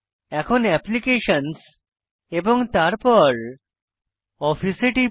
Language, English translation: Bengali, Now, lets click on Applications and then on Office